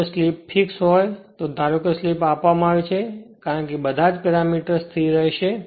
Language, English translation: Gujarati, If slip is constant if you suppose slip is given, because all are the parameters will remain constant